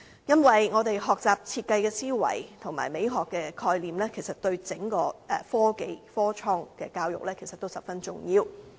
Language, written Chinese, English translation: Cantonese, 因為我們學習設計的思維及美學的概念，其實對整個科技、創科教育都十分重要。, Our concept of learning design and sense of aesthetics are crucial to the education of innovation science and technology